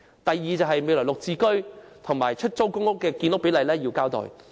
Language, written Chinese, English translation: Cantonese, 第二，政府要就"綠置居"和出租公屋的建屋比例作出交代。, Secondly the Government should account for the construction ratio of GSH and PRH